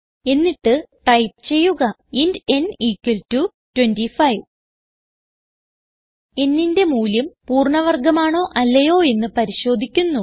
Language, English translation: Malayalam, ThenType int n = 25 We shall see if the value in n is a perfect square or not